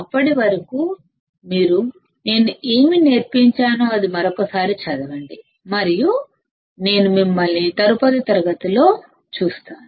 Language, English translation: Telugu, Till then you just read once again, whatever I have taught and I will see you in the next class